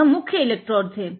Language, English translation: Hindi, So, this is main electrodes